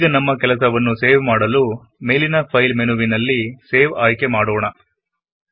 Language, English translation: Kannada, Let us save our work by using the File menu at the top and choosing Save